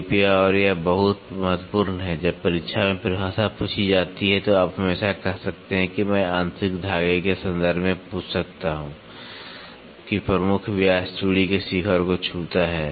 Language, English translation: Hindi, Please and this is very important, when you when the definition is asked in the examination you can always say the major diameter I can ask in terms of with internal threads, touches the crest of the thread